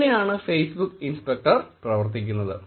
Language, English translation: Malayalam, That is how Facebook inspector works